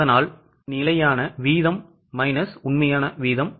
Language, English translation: Tamil, So, standard rate minus actual rate